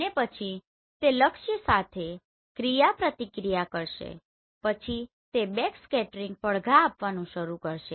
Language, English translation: Gujarati, And then once it interact with the target then it will start giving the backscattering echoes